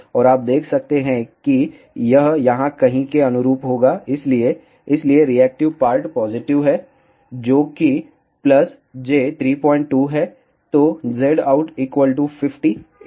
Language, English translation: Hindi, And you can see that this will correspond to somewhere here, so the, so the reactive part is positive which is plus j 3